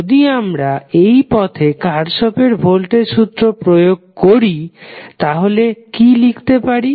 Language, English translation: Bengali, If we apply Kirchhoff voltage law for this particular loop, what we will write